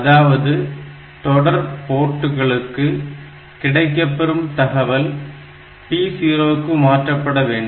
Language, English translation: Tamil, So, whatever comes on the serial port that should be sent to P 0